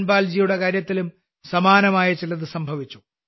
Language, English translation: Malayalam, Something similar happened with Dhanpal ji